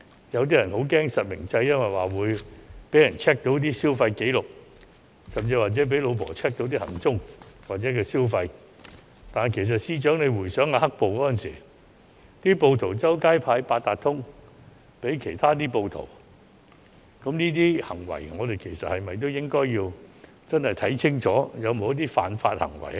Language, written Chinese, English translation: Cantonese, 有些人害怕實名制，因為會被人 check 到消費紀錄，甚至被妻子 check 到行蹤或消費，但司長回想"黑暴"時暴徒隨街分派八達通給其他暴徒，我們是否應該檢視這些行為是否違法。, Some people are worried that the real - name registration system will enable others to check their spending history and even enable their wives to check their whereabouts or spending . However as FS may recall that during the black - clad riots rioters had distributed Octopus cards to their accomplices casually on the streets . We should examine if such acts are illegal